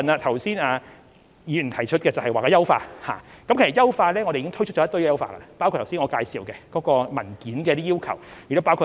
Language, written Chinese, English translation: Cantonese, 其實，我們已經推出一系列優化措施，包括剛才我所介紹有關文件的要求及指引。, In fact we have introduced a series of enhancement measures including those relating to the requirements and guidelines on documentation as described by me earlier on